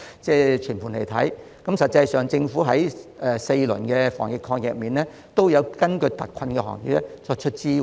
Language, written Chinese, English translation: Cantonese, 事實上，政府在4輪防疫抗疫基金中均有為特困行業提供支援。, In fact the Government has provided support to industries in exceptional hardship in the four tranches of the Anti - epidemic Fund